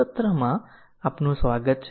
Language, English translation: Gujarati, Welcome to this session